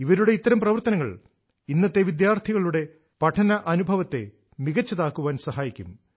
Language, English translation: Malayalam, All of these endeavors improve the learning experience of the current students